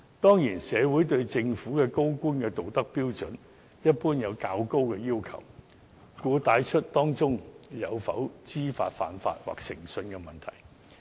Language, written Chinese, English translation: Cantonese, 當然，社會對政府高官的道德標準一般有較高的要求，故此帶出了當中有否知法犯法或誠信的問題。, Of course the public have in general higher expectations of senior officials in terms of their moral standards and hence people wonder if she breached the law knowingly and they also query her integrity